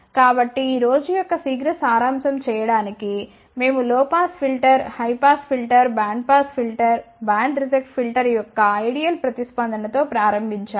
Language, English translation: Telugu, So, we started with an ideal response of low pass filter, high pass filter, band pass filter, band reject filter